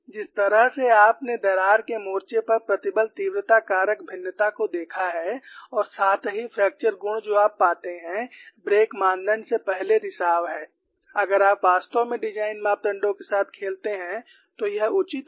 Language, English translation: Hindi, The way you have looked at stress intensity factor variation over the crack front and also the fracture properties what you find is, leak before break criterion, if you really play with the design parameter is doable